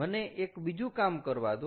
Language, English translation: Gujarati, ok, let me your do one thing